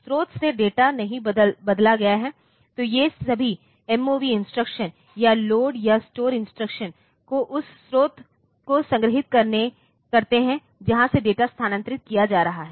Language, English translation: Hindi, The data in the source is not changed; so all these MOV instructions or the load or store instruction the store the source from where the data is being moved